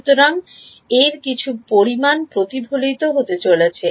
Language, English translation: Bengali, So, some amount of this is going to get reflected